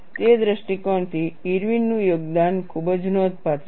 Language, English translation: Gujarati, From that point of view, the contribution of Irwin is very significant